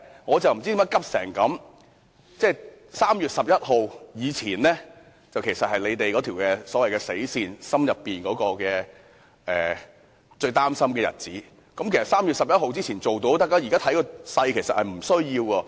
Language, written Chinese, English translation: Cantonese, 我不知道他為何如此焦急 ，3 月11日是他們之前所訂的"死線"，也是他們最擔心的日子，只要在3月11日前通過便可以，而且現在看來根本不需要那麼遲。, I do not know why he is so anxious . The 11 March is the deadline they have set and it is also the day they worry the most . It will be fine as long as the amendments to RoP are passed before 11 March and now it seems that the amendments can be passed at an earlier time